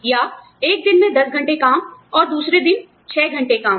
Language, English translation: Hindi, Or, ten hours of work on one day, and six hours work on the other day